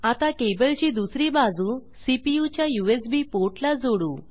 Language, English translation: Marathi, Now lets connect the other end of the cable, to the CPUs USB port